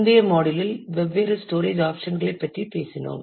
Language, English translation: Tamil, In the last module we have talked about different storage options